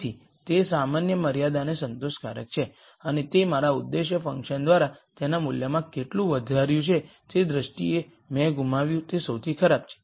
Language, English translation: Gujarati, So, it is satisfying the general constraint and that is the worst I have lost in terms of how much my objective function has increased its value by